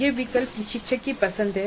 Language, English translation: Hindi, So this choice is the choice of the instructor